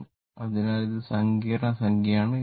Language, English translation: Malayalam, It is a complex number